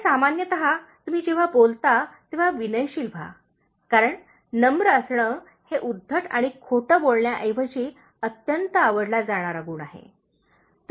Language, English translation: Marathi, And generally, when you talk to others; be polite, because being polite is immensely likeable quality, instead of being rude and impolite